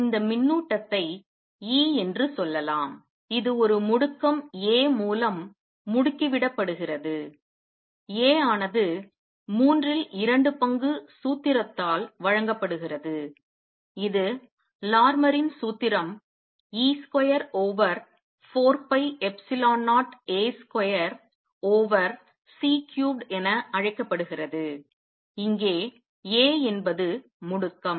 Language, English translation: Tamil, Let us say this charge is e and it is accelerating with the acceleration a, a is given by the formula 2 thirds which is known as Larmor’s formula e square over 4 pi epsilon 0 a square over C cubed where a is the acceleration